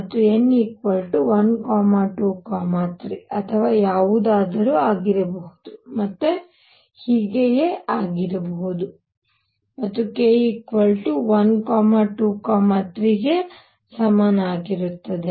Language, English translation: Kannada, And n could be anything n could be 1, 2, 3 and so on, and k would be equal to either 1, 2, 3 all the way up to n